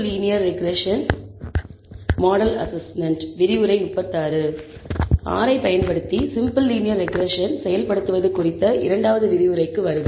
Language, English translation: Tamil, So, welcome to the second lecture on implementation of simple linear regression using R